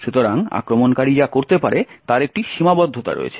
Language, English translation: Bengali, Thus, there is a limitation to what the attacker can do